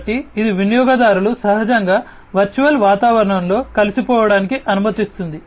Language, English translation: Telugu, So, it allows the users to get naturally absorbed into the virtual environment